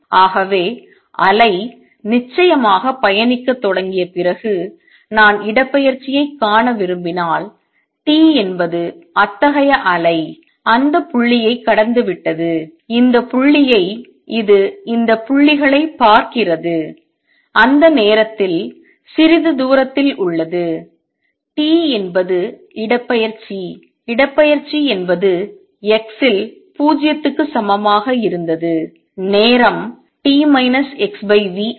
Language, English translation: Tamil, So, if I want to see displacement after the wave has started travelling of course, t is such wave has passed through that point this point it look at this points some distance away at time t is the displacement would be what it was at x equal to 0 time t minus x over v